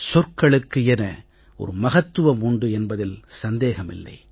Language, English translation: Tamil, It is true that words have their own significance